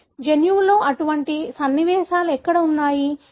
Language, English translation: Telugu, Where are such sequences present in your genome